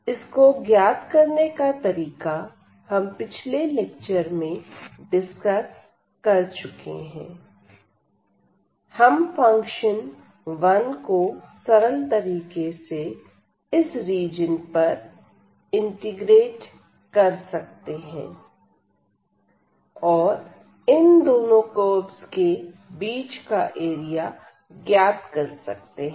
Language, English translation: Hindi, And, the idea was which has already been discussed in the previous lecture, that we can simply integrate the function 1 or the constant function 1 over this region and then we can get the area of the region bounded by these two curves